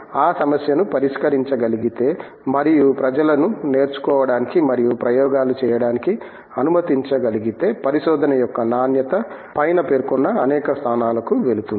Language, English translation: Telugu, If we could address that problem and allow people to learn and experiment and then go about I would say the quality of research would go many notches above